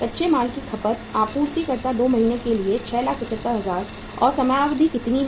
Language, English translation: Hindi, Raw material consumed, supplier’s is for 2 months that is 6,75,000 and time period is how much